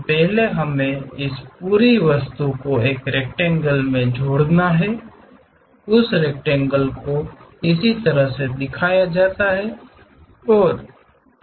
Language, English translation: Hindi, So, first we have to enclose this entire object in a rectangle, that rectangle is shown in in this way